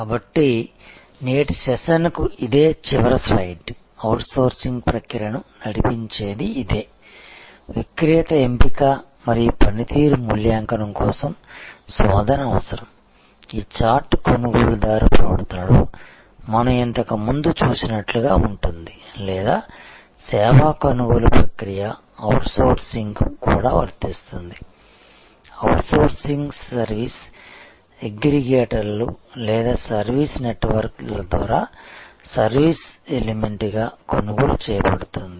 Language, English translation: Telugu, So, I will this is the last slide for today’s session this is what as driven the outsourcing process the need identification the information search the vendor selection and the performance evaluation, this chart is the same as what we had seen much earlier in the buyer behavior or the buying process of a service the same thing applies to outsourcing, outsourcing is purchased as a service element by service aggregators or service networkers